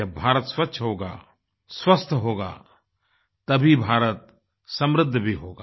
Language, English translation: Hindi, A clean and healthy India will spell a prosperous India also